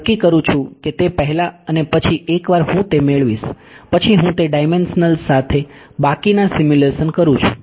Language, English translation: Gujarati, I decide that before and then once I obtain that then I do the rest of the simulations with those parameters